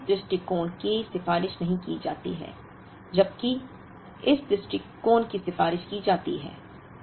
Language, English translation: Hindi, Therefore, this approach is not recommended, while this approach is recommended